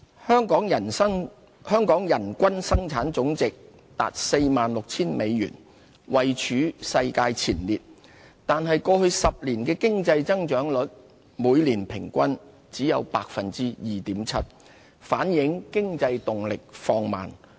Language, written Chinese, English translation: Cantonese, 香港人均生產總值達 46,000 美元，位處世界前列，但過去10年的經濟增長率每年平均只有 2.7%， 反映經濟動力放慢。, The Gross Domestic Product GDP per capita of Hong Kong amounts to US46,000 and is among the highest in the world . However our average annual economic growth rate over the past decade was merely 2.7 % reflecting a slower growth momentum